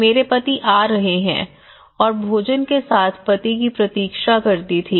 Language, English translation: Hindi, my husband is coming and wait for the husband with food